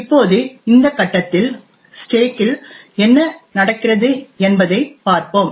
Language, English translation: Tamil, Now at this point we shall look at what is present on the stack